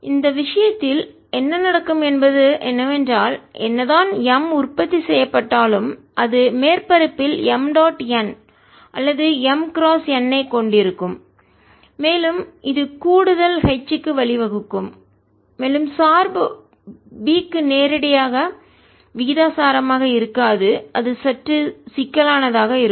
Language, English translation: Tamil, in this case, what would happen is that whatever m is produced, it'll also have m dot n or m cross n at the surfaces, and that will give rise to an additional h and the dependence will not be directly proportional to b, so that will be slightly more complicated